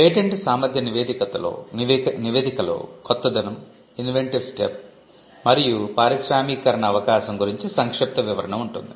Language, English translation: Telugu, The patentability report will have a brief description on novelty inventor step and industrial application